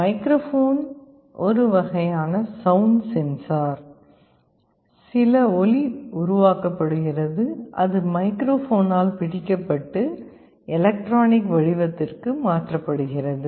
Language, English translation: Tamil, Microphone is a kind of a sound sensor, some sound is being generated that is captured by the microphone and it is converted to electronic format